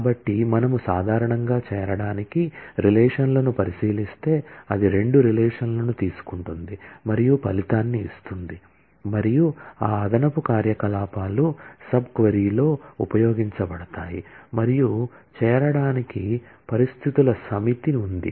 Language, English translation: Telugu, So, if we look into the join relations in general, it takes two relations and returns a result and those additional operations are used in the sub query in from and there is a set of join conditions